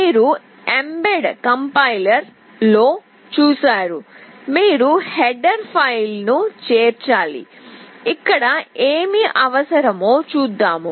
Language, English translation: Telugu, You have seen in mbed compiler we need to include a header file, we will see what is required here